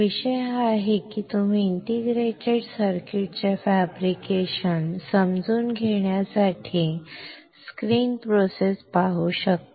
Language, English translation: Marathi, The topic is if you can see the screen process to understand fabrication of integrated circuits